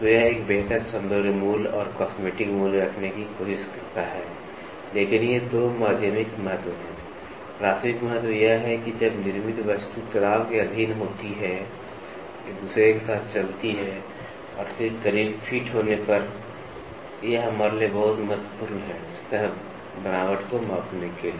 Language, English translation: Hindi, So, it tries to have a better aesthetic value and cosmetic value, but these 2 are secondary importance, the primary importance is when the manufactured item subject to stress, moving with one another and then, having close fits, it is very important for us to measure the surface texture